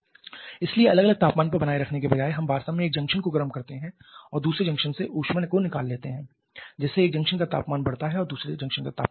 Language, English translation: Hindi, So, instead of maintaining at same separate temperatures we actually heat one of the junctions and remove that heat from the other Junction thereby raising the temperature of one Junction and reducing the temperature of the other Junction